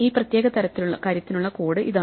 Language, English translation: Malayalam, This is the code for this particular thing